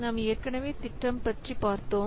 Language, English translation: Tamil, We have already seen earlier